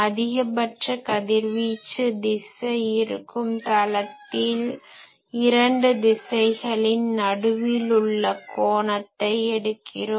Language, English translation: Tamil, So, in a plane containing the direction of maximum of a beam the angle between two directions, so I draw two directions